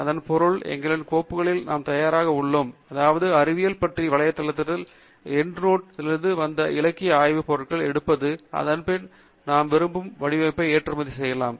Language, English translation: Tamil, Which means that we are now ready with our folder to pick the literature survey items that are coming from Web of Science into End Note, following which we can then export in the format that we like